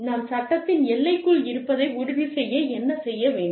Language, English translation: Tamil, What do we need to do, in order to make sure, that we remain, within the confines of the law